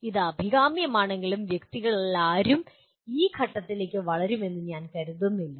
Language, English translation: Malayalam, While it is desirable, I do not think any of the persons will grow to that stage